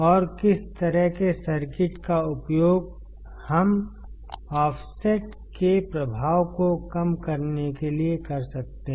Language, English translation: Hindi, And what kind of circuits we can use to nullify the effect of the offset